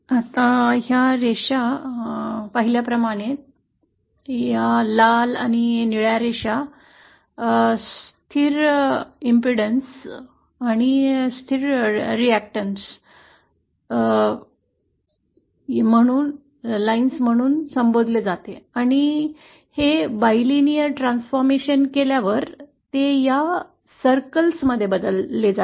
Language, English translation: Marathi, Now this line as you can see, this red and blue line is what is called as a constant resistance and constant a constant reactance line and upon doing this bilinear transformation, they are transformed to these circles